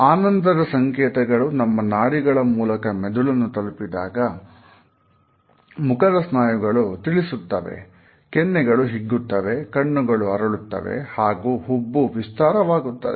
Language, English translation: Kannada, When you feel pleasure signals pass through part of your brain with processes emotion making your mouth muscles move, your cheeks rise, your eyes rise up and your eyebrows deep slightly